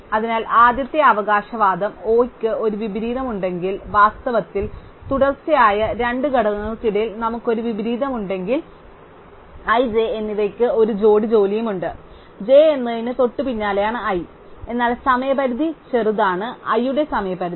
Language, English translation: Malayalam, So, the first claim is that if O has an inversion, then in fact we have an inversion among two consecutive elements, there is a pair of jobs i and j such that j is immediately after i, but the deadline of j is smaller than the deadline of i